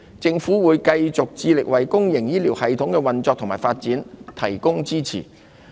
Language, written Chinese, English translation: Cantonese, 政府會繼續致力為公營醫療系統的運作和發展提供支持。, The Government will stay committed to providing support for the operation and development of the public health care system